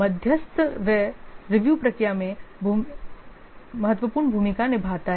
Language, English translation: Hindi, So moderator, he plays the key role in the review process